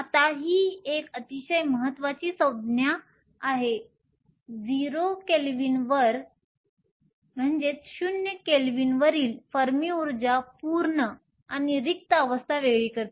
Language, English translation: Marathi, e f is called the Fermi energy now this is a very important term the Fermi energy at 0 kelvin separates the full and empty states